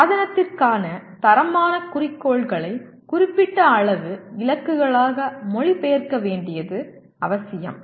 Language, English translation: Tamil, It is necessary to translate the qualitative goals for the device into specific quantitative goals